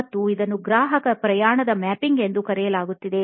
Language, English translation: Kannada, And is something called customer journey mapping